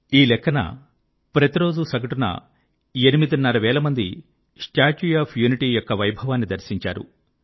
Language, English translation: Telugu, This means that an average of eight and a half thousand people witnessed the grandeur of the 'Statue of Unity' every day